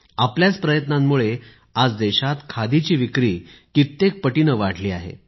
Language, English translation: Marathi, It is only on account of your efforts that today, the sale of Khadi has risen manifold